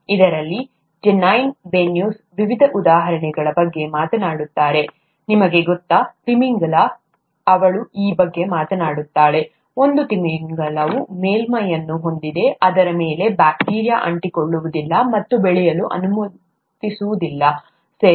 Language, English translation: Kannada, In this Janine Benyus talks about various examples, you know, the whale, she talks about this, one of the whales has a surface which does not allow bacteria to stick and grow on them, okay